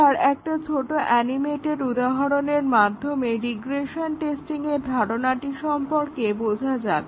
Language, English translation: Bengali, This is just an example to illustrate what exactly we mean by regression testing